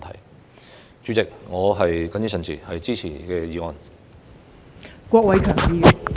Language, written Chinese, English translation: Cantonese, 代理主席，我謹此陳辭，支持《條例草案》。, With these remarks Deputy President I support the Bill